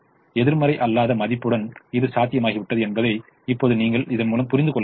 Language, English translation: Tamil, now you see that this has become feasible with a non negative value